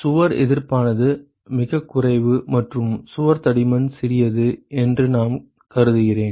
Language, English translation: Tamil, So, I am assuming that wall resistance is negligible and the wall thickness is small ok